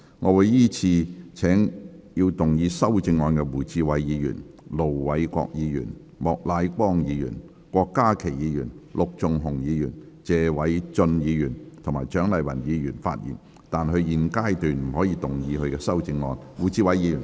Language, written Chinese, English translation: Cantonese, 我會依次請要動議修正案的胡志偉議員、盧偉國議員、莫乃光議員、郭家麒議員、陸頌雄議員、謝偉俊議員及蔣麗芸議員發言，但他們在現階段不可動議修正案。, I will call upon Members who will move the amendments to speak in the following order Mr WU Chi - wai Ir Dr LO Wai - kwok Mr Charles Peter MOK Dr KWOK Ka - ki Mr LUK Chung - hung Mr Paul TSE and Dr CHIANG Lai - wan but they may not move their amendments at this stage